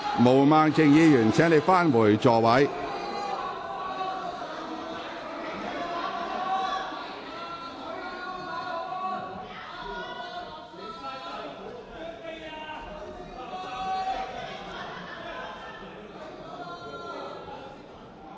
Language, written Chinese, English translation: Cantonese, 毛孟靜議員，請你返回座位。, Ms Claudia MO please return to your seat